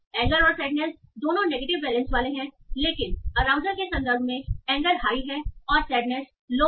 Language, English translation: Hindi, Anger and sadness both are having low the negative balance but in terms of arousals anger is high and sadness is low